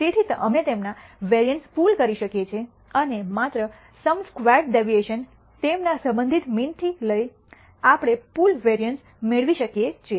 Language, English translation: Gujarati, So, we can pool their variances and we can obtain a pooled variance by just taking the sum square deviation of all with their respective means and then obtaining a pooled variance